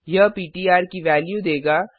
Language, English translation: Hindi, This is will give the value of ptr